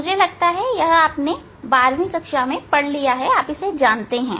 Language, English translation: Hindi, I think this is the twelfth class task you know